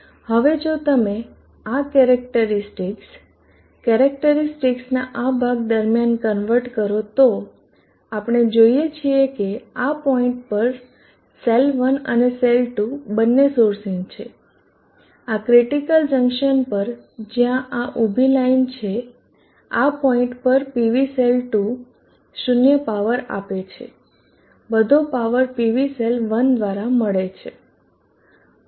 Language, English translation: Gujarati, Now if you convert this characteristic during this portion of the characteristic we see that both cell1 and cell 2 are sourcing and at this point, at this critical junction where there this vertical line, this point PV cell 2 contribute 0 power all the power is contributed by PV cell 1